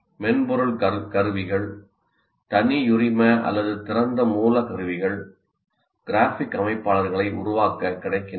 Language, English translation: Tamil, And software tools, proprietary or open source tools are available for creating some graphic organizers